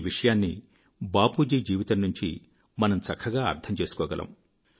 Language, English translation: Telugu, We can understand this from Bapu's life